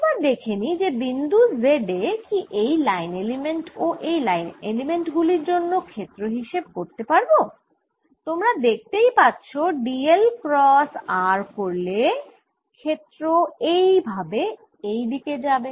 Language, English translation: Bengali, now let see if i calculate the field at point z, due to the line element here and a line element here, you can easily see that d, l cross r will give a field going like this